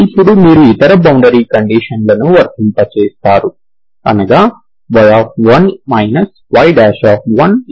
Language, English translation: Telugu, So apply the boundary, other boundary conditions that is we have y pie equal to 0